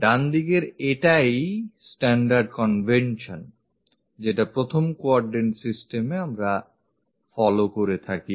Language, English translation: Bengali, On the right hand side, this is the standard convention what we follow for 1st quadrant systems